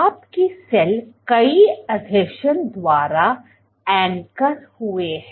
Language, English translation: Hindi, Your cell is anchored by multiple adhesions